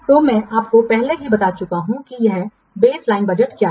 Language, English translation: Hindi, So, what is a baseline budget